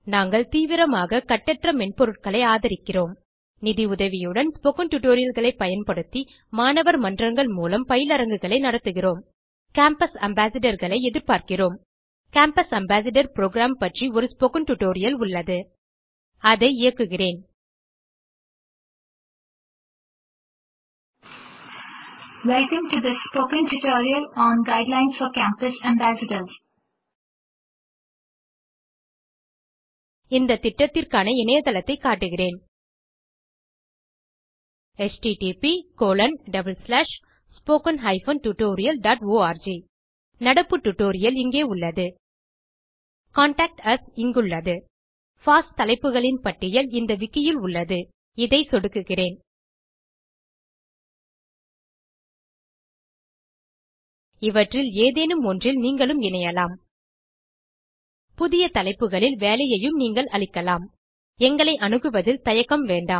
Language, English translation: Tamil, We actively promote Open Source Software Conduct workshops through student clubs, using spoken tutorials and financial support We also look for Campus Ambassadors We have a spoken tutorial on Campus Ambassador programme Let us play it Recording plays Let us show the web site of our project, http://spoken tutorial.org The current tutorial is available here Where to contact us is here A list of FOSS systems is available through the wiki – let us click this You may join the effort on any of these You may also propose work on new systems Please feel free to contact us